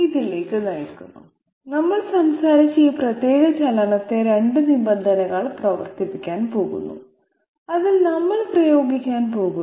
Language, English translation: Malayalam, It leads to this that we are now going to operate this particular movement that we have talked about operated by 2 conditions that we are going to apply on it